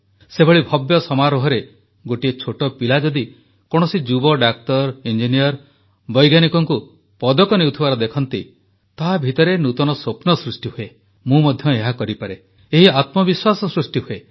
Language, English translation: Odia, When a small child in the grand function watches a young person becoming a Doctor, Engineer, Scientist, sees someone receiving a medal, new dreams awaken in the child 'I too can do it', this self confidence arises